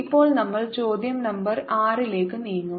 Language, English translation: Malayalam, now we will move to question number six